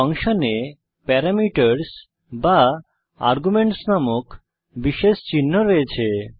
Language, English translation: Bengali, Functions contains special identifiers called as parameters or arguments